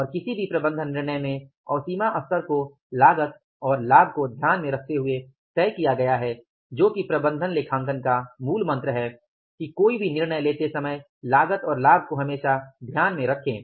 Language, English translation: Hindi, So, that is why the threshold level is there and threshold level is fixed up by keeping into consideration the cost and benefit and in every management decision which is the mantra of the management accounting that whatever the decision you take always keep in mind the cost and benefit